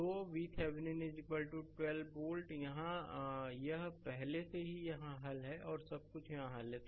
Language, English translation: Hindi, So, V Thevenin is equal to 12 volt here, it is already solved here everything is solved here